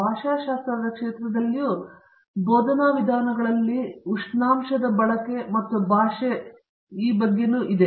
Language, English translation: Kannada, In the field of linguistics as well, we have language and technology the use of temperatures in teaching methods